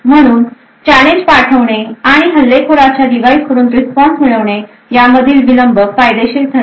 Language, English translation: Marathi, Therefore, the delay between the sending the challenge and obtaining the response from an attacker device would be considerable